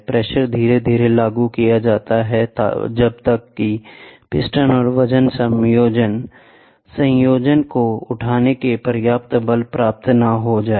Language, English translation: Hindi, The pressure is applied gradually until enough force is attained to lift the piston and the weight combination